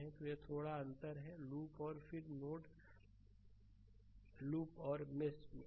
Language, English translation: Hindi, So, this there is a slight difference between your loop and then node right loop and the mesh